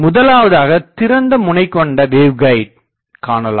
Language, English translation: Tamil, The first application will be open ended waveguide